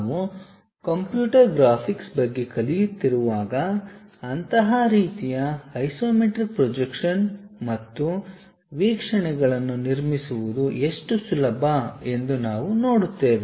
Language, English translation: Kannada, When we are learning about computer graphics we will see, how easy it is to construct such kind of isometric projections and views